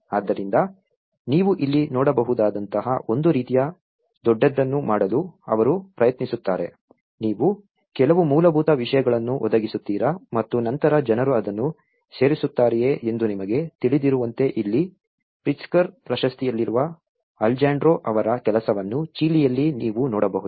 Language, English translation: Kannada, So, they try to make in a kind of bigger like what you can see here, is you provide some basic things and then people add on to it you know like here the Alejandro’s work which has been in Pritzker award and you can see his work in Chile